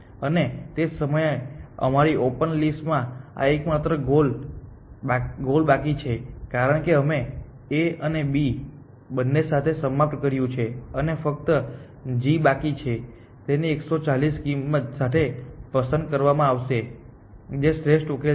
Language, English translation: Gujarati, And at that time this is the only goal only door left in our open list because we have finished with A, we have finished with B both and only g is left and g will be picked with the cost of 140 which is the optimal solution